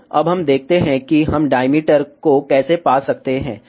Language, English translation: Hindi, So, let us see now, how we can find the diameter